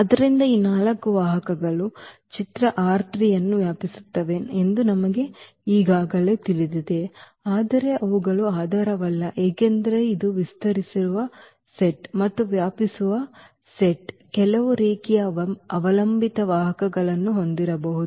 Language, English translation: Kannada, So, we already know that these 4 vectors will span image R 3, but they are they are not the basis because this is this is the spanning set, and spanning set may have some linearly dependent vectors